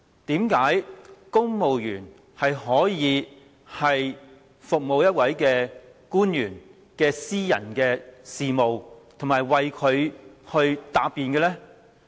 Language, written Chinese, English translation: Cantonese, 為何公務員要就一位官員的私人事務而做工作，以及為他答辯呢？, Why should civil servants be asked to work for the private business of a public officer and even defend him?